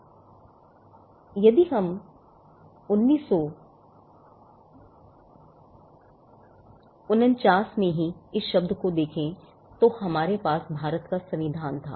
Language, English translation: Hindi, Now if we look at the term itself in 1949, we had the Constitution of India